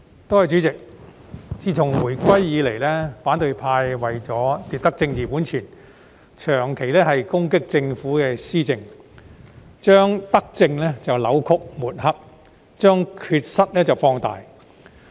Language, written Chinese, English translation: Cantonese, 代理主席，自回歸以來，反對派為了奪得政治本錢，長期攻擊政府施政，將德政扭曲抹黑，將缺失放大。, Deputy President since the return of sovereignty in order to gain political capital Members from the opposition camp have been attacking the Governments governance for a long time by distorting and discrediting its benevolent policies while magnifying its deficiencies